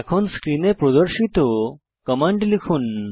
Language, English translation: Bengali, Type the following commands as shown on the screen